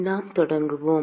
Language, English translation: Tamil, Let us get started